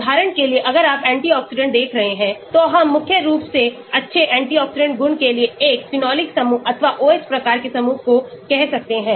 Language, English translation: Hindi, for example, if you are looking at antioxidant we may say a phenolic group or OH type of group mainly to good antioxidant property